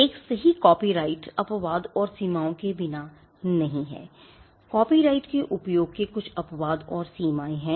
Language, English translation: Hindi, As a right copyright is not without exceptions and limitations; there are certain exceptions and limitations to the use of a copyright